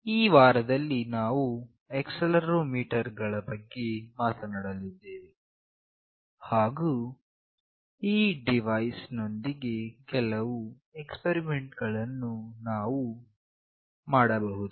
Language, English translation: Kannada, In this week, we will be discussing about Accelerometer and some of the experiments that we can do with this device